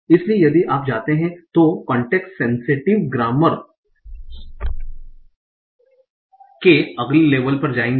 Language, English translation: Hindi, So if you would go to the next label of context sensitive grammars, there you need the context